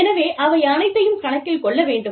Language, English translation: Tamil, So, all of that, has to be accounted for